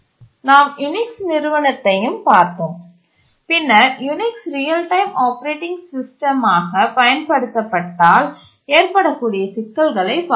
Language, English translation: Tamil, We looked at Unix and then we looked at what problems may occur if Unix is used as a real time operating system